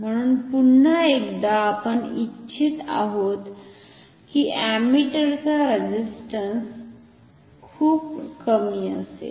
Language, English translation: Marathi, So, we want once again internal resistance of ammeters to be very low